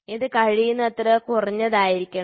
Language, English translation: Malayalam, So, this should be as minimum as possible